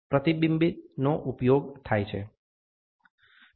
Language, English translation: Gujarati, Reflection is used